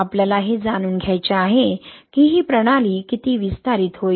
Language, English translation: Marathi, We want to know like how much it system will expand, right